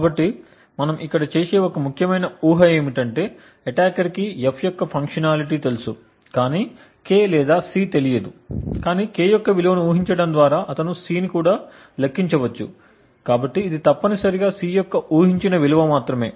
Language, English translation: Telugu, So an important assumption that we make over here is that the attacker knows the functionality of F but does not know K nor C, but since has guessed the value of K he can also compute C based on that guess, so this would be essentially guessed value of C